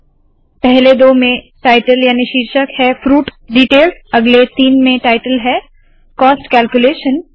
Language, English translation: Hindi, The first two have the title fruit details, the next three have the title cost calculations